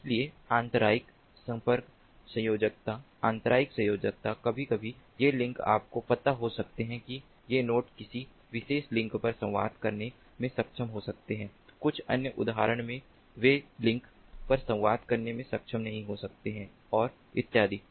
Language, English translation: Hindi, so intermittent link connectivity, intermittent connectivity sometimes these links might be ah, you know, these nodes might be able to communicate over a particular link, at a few other instance they may not be able to communicate over the links, and so on